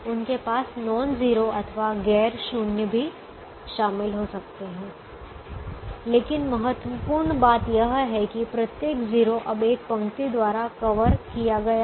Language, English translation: Hindi, they may have non zero also covered, but the important thing is, every zero is now covered by one line